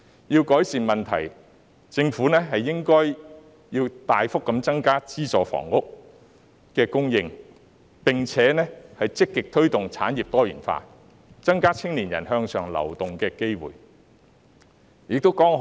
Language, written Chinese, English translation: Cantonese, 若要改善問題，政府應該大幅增加資助房屋的供應，並且積極推動產業多元化，增加青年人向上流動的機會。, To alleviate this problem the Government should significantly increase the supply of subsidized housing and proactively promote diversification of industries to increase the opportunities for upward mobility of young people